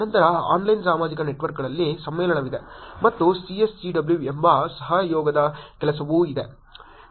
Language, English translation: Kannada, Then there is conference on online social networks and there is also collaborative work which is CSCW